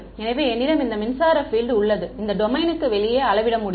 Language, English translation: Tamil, So, I have this electric field that is measured only outside the domain